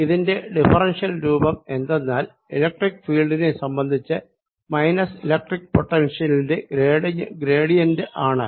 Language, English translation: Malayalam, its differential form was that electric field, it was equal to minus the gradient of electric potential